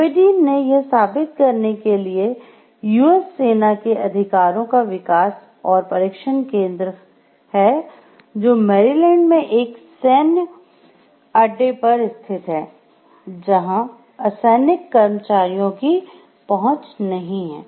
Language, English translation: Hindi, The Aberdeen proving ground is a U S army weapons development and test center located on a military base in Maryland with no access by civilian non employees